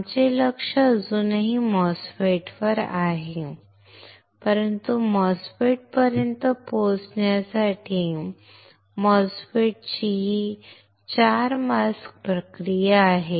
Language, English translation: Marathi, Our focus is still there on MOSFET, but to reach to MOSFET, MOSFET is a 4 mask process